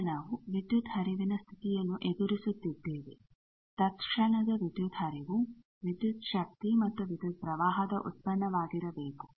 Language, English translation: Kannada, Now, we are forcing the power flow condition that instantaneous power flow should be the product of voltage and current